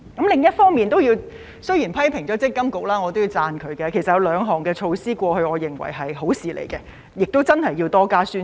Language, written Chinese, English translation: Cantonese, 另一方面，雖然批評了積金局，但我也要讚賞它，過去有兩項措施我認為是好事，而且需要多加宣傳。, MPFA does have a responsibility to carry out such work which regrettably has been inadequate in my opinion . On the other hand after criticizing MPFA I also have to commend it . There are two measures that I consider desirable and merit more publicity